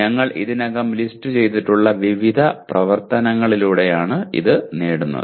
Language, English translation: Malayalam, It is attained through various activities that we have already listed